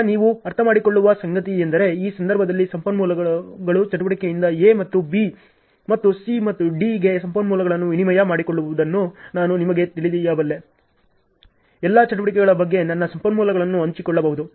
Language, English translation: Kannada, Now, what you will understand is in this case the resources were in such a way that I can actually you know swap the resources from activity A to B to C and D, I can share my resources on all the activities ok